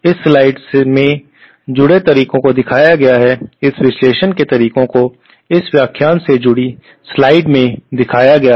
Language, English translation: Hindi, The methods have been shown in the slides associated with this analysis methods have been shown in the slides associated with this lecture